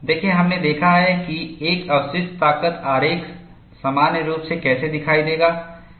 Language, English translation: Hindi, See, we have seen how a residual strength diagram would in general appear